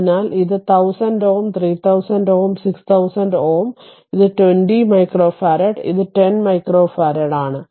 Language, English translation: Malayalam, So, this is 1000 ohm, 3000 ohm, 6000 ohm, and this is 20 micro farad, this is 10 micro farad